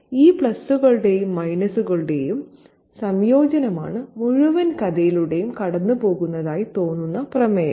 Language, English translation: Malayalam, So, this combination of pluses and minus is the theme that seems to run through the entire story